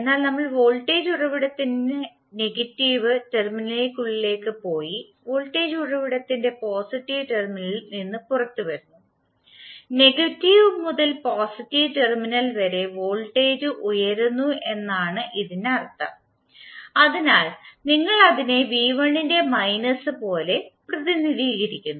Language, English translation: Malayalam, Let us start from v¬1¬ because since we are starting from v¬1¬ that is we are going inside the negative terminal of voltage source and coming out of the positive terminal of voltage source; it means that the voltage is rising up during negative to positive terminal so we represent it like minus of v¬1¬